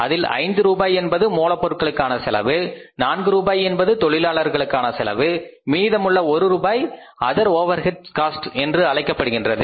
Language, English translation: Tamil, Out of this 5 rupees is the material cost, out of this 4 rupees is the labour cost and out of this is the 1 rupees is the other overheads cost